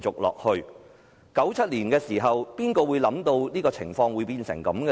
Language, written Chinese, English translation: Cantonese, 1997年時，誰會想到情況會變成這樣？, In 1997 who would have expected such developments?